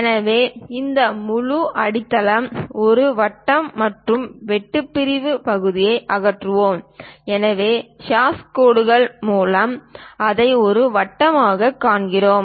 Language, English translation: Tamil, So, this entire circular base; one circle we will see and the cut section, we removed the portion, so through hash lines, we see it as circle